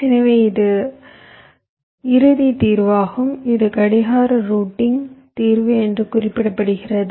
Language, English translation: Tamil, so this is the final solution i want to, i want to arrive at, and this i refer to as the clock routing solution